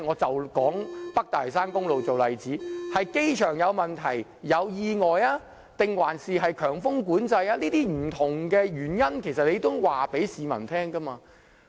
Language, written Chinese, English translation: Cantonese, 以北大嶼山公路為例，可能是機場有問題或意外，也可能是由於強風管制所致，這種種不同的原因，政府都需要告訴市民。, Take the North Lantau Link as an example . It could be due to a situation or an accident at the airport; or it could be due to the high wind traffic management . It is necessary for the Government to inform the public of these various reasons